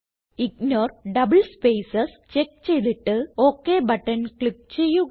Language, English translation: Malayalam, Now put a check on Ignore double spaces and click on OK button